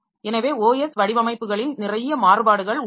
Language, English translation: Tamil, So, there are a lot of variation in the OS design